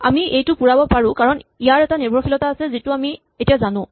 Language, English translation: Assamese, So, we can fill up this, because this has only one dependency which is known now